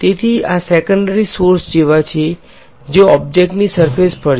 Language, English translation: Gujarati, So, these are like secondary sources that are on the surface of the object right